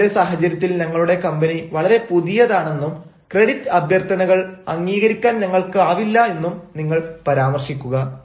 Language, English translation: Malayalam, you mention that at the present juncture, our company is very new and we are not in a position, ah, to grant credit requests